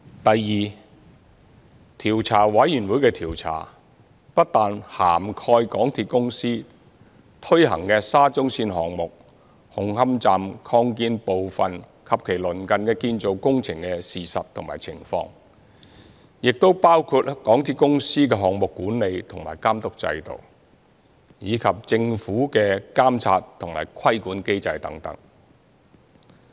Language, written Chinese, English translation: Cantonese, 第二，調查委員會的調查不但涵蓋香港鐵路有限公司推行的沙中線項目紅磡站擴建部分及其鄰近建造工程的事實和情況，也會包括港鐵公司的項目管理和監督制度，以及政府的監察和規管機制等。, Second the inquiry by the Commission covers not only the facts and circumstances surrounding the construction works at and near Hung Hom Station Extension under the SCL project implemented by the MTR Corporation Limited MTRCL but also the project management and supervision system of MTRCL as well as the monitoring and regulatory mechanisms of the Government etc